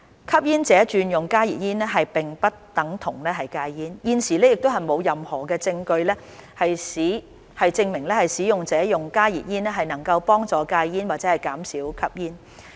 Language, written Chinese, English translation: Cantonese, 吸煙者轉用加熱煙並不等同戒煙，現時亦沒有任何證據證明使用加熱煙能幫助戒煙或減少吸煙。, Switching to HTPs is not the same as quitting smoking and there is no evidence that the use of HTPs helps one to quit or reduce smoking